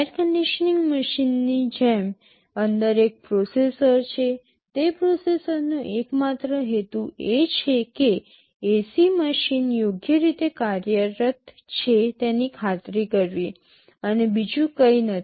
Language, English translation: Gujarati, Like an air conditioning machine, there is a processor inside, the sole purpose of that processor is to ensure that the ac machine is working properly, and nothing else